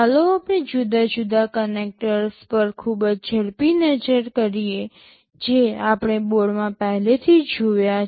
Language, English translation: Gujarati, Let us have a very quick look at the different connectors that we have already seen in the board